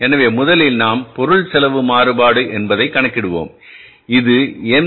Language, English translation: Tamil, So first we will calculate the material cost variance C which is called as MCB